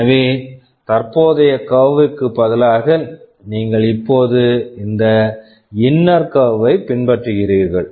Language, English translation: Tamil, So, instead of this curve, you are now following this inner curve